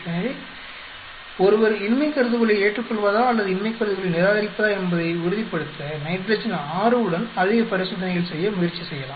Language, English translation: Tamil, So, one may try to do more experiments with nitrogen six to be sure, whether to accept the null hypothesis or reject the null hypothesis